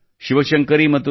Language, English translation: Kannada, Shiv Shankari Ji and A